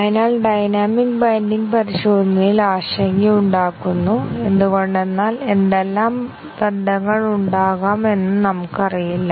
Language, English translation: Malayalam, So, the dynamic binding is a cause for concern in testing because we do not know, what are the bindings that may occur